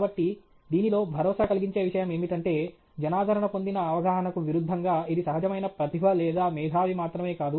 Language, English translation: Telugu, So, the reassuring thing in this is, contrary to popular perception it is not innate talent or genius that alone matters